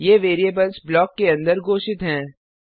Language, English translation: Hindi, These variables are declared inside a block